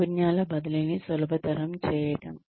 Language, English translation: Telugu, Making skills transfer easy